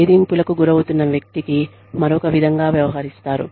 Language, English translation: Telugu, The person, who is being bullied, is treated another way